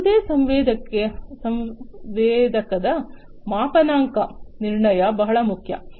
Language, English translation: Kannada, Calibration of any sensor is very important